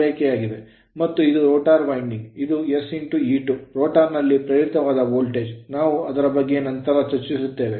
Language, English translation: Kannada, And this the rotor winding this sE2 the voltage induced in the rotor we will see later right